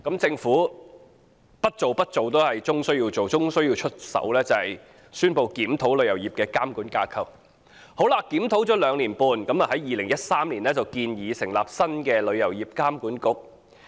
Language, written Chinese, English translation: Cantonese, 政府最終不得不宣布檢討旅遊業的監管架構。經過兩年半的檢討，政府在2013年建議成立新的旅監局。, Following the conclusion of a review that had lasted two and a half years the Government proposed in 2013 to set up a new TIA